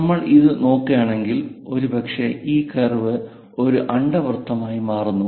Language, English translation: Malayalam, If we are looking at this, perhaps this curve forms an ellipse